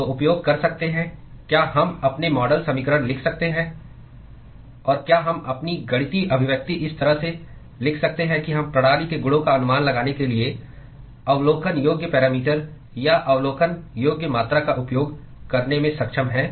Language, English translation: Hindi, So, can use can we write our model equations and can we write our mathematical expression in such a way that we are able to use the observable parameters or observable quantities in order to estimate the properties of the system